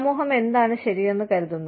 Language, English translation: Malayalam, What does the society consider as right